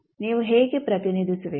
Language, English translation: Kannada, How will you represent